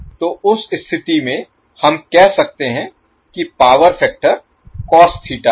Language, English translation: Hindi, So in that case what we can say that the power factor is cos Theta